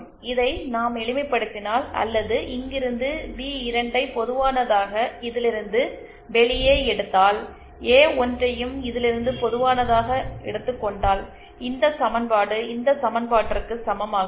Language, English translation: Tamil, And if we simplify this, or if we take B2 common from here and A1 common from here then we can, this equation becomes equal to this equation